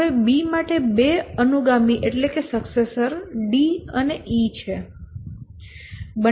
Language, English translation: Gujarati, B has two tasks here, a successor, D and D